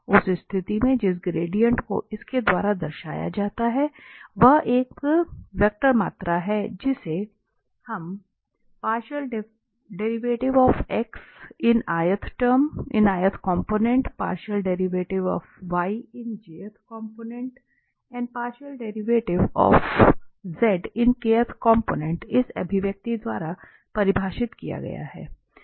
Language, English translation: Hindi, In that case the gradient of f which is denoted by this grad f is a vector quantity, which is defined by this expression